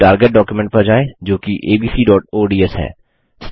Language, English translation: Hindi, Now switch to the target document, which is abc.ods